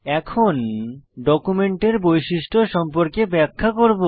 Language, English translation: Bengali, Now I will explain about Document Properties